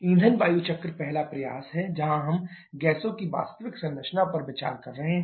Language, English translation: Hindi, The fuel air cycle is the first effort where we are considering the actual composition of gases